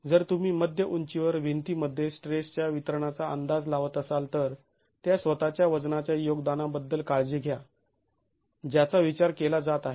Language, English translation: Marathi, If you are making the estimates of the stress distribution in the wall at the mid height, then be careful about the contribution of the self weight that is being considered